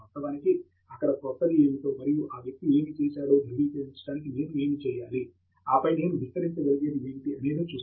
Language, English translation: Telugu, We can actually look at what is new there, and what is that I need to do to validate what that person has done, and then what is it that I can extend